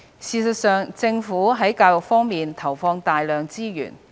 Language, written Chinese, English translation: Cantonese, 事實上，政府在教育方面投放大量資源。, In fact the Government has invested heavily in education